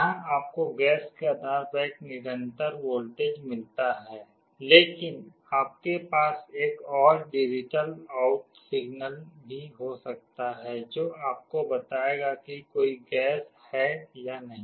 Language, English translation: Hindi, Here you get a continuous voltage depending on the gas, but you can also have another digital out signal, that will tell you whether there is a gas or no gas